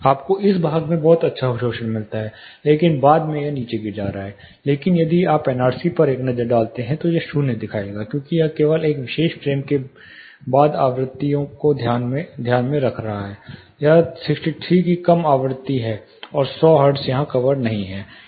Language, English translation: Hindi, You get very good absorption in this part after that it is dropping down, but if you take a look at the NRC, it will show zero, because it is only taking into account, frequencies after this particular frame, this lower frequency of 63 and 100 hertz is not covered here